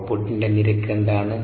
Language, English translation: Malayalam, what is the rate of output